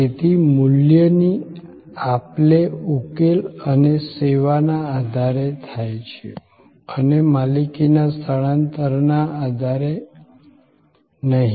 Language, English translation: Gujarati, So, the exchange of value is taking place on the basis of solution and service and not on the basis of transfer of ownership